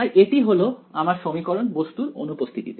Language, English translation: Bengali, So, this is our equation in the absence of object